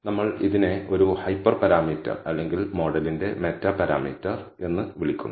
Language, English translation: Malayalam, We call this a hyper parameter or a meta parameter of the model